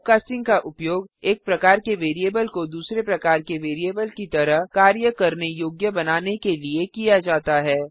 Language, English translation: Hindi, Typecasting is a used to make a variable of one type, act like another type